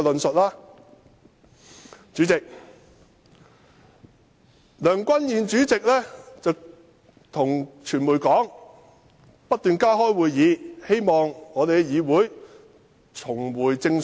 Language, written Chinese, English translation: Cantonese, 代理主席，梁君彥主席告訴傳媒會不斷加開會議，使立法會議會重回正軌。, Deputy President President Andrew LEUNG has told the media that additional meetings will continue to be held to bring this Council back onto the right track